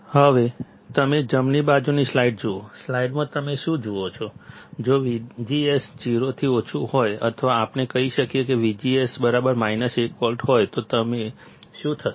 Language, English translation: Gujarati, Now, if you see the right slide, of the slide, what do you see; if V G S is less than 0, or let us say V G S is minus 1 volt;